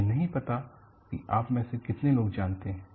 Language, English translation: Hindi, I do not know how many of you are aware